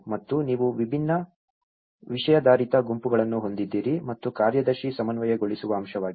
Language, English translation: Kannada, And you have different thematic groups and the secretary is the coordinating aspect